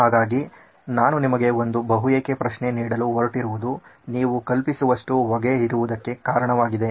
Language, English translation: Kannada, So the reason I am going to give you one of the whys is the reason there is lot of smoke as you can imagine